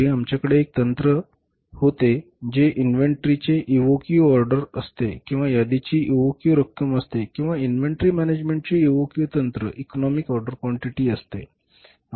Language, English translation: Marathi, Arlet we had one single technique that is EOQ order of inventory or EOQ amount of inventory or EOQ technique of inventory management, economic order quantity